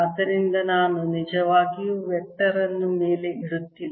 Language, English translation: Kannada, it's all in the same direction, so i am not really putting a vector on top